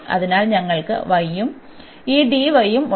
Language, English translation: Malayalam, So, we have y and this dy